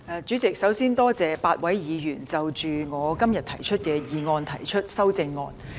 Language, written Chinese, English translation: Cantonese, 主席，首先多謝8位議員就我今天的議案提出修正案。, President first of all I thank the eight Members for their amendments to my motion today